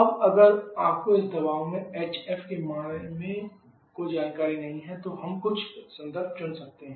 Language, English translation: Hindi, Now if you do not have any information about the value of hf at this pressure then we can choose certain reference